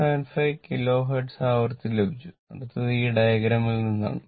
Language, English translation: Malayalam, 475 Kilo Hertz now next is that from this diagram